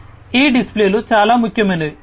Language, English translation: Telugu, So, these displays are very important